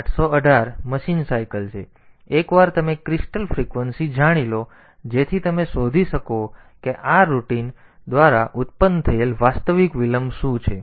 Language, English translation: Gujarati, So, once you know the crystal frequency, so you can find out what is the actual delay that is produced by this routine